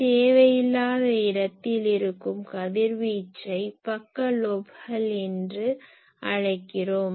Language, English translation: Tamil, So, where I do not want to put my radiation those are called side lobes